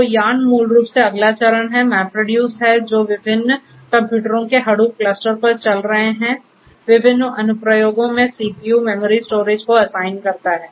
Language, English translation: Hindi, So, YARN is basically the next generation MapReduce which assigns CPU, memory, storage to different applications running on the Hadoop cluster of different computers